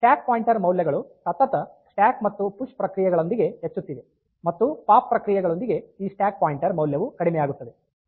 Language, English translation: Kannada, So, the stack pointer values are incrementing with successive stack operation successive push operation and with the pop operation this stack pointer value will decrease